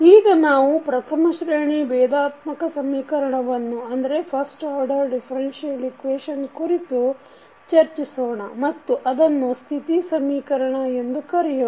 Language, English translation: Kannada, Now, let us talk about first order differential equation and we also call it as a state equation